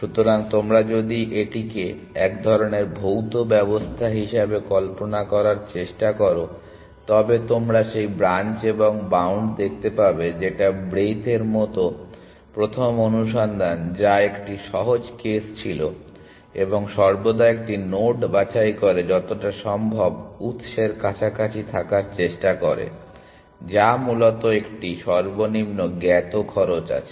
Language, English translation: Bengali, So, if you try to visualize this as some sort of a physical system, you can see that branch and bound like breath first search which was a simpler case of branch and bound tries to stick as close to the source as possible always picks a node which is as which has a lowest known cost essentially